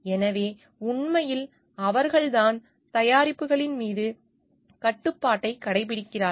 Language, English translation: Tamil, So, they actually it is they who are exercising the control on the products